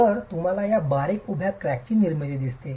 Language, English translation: Marathi, So, you see the formation of these fine vertical cracks